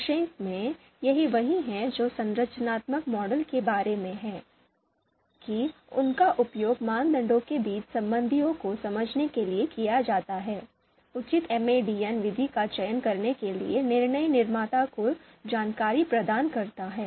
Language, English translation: Hindi, So structural models, they are used to understand the relationships between criteria, so in nutshell, this is what the structural models are about, used to understand the relationships between criteria, provide the information for decision maker to select the appropriate MADM method